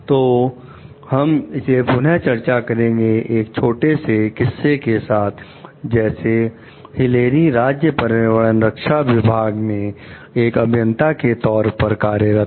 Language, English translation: Hindi, So, will discuss it again with a small case like Hilary is an engineer working for the state environmental protection division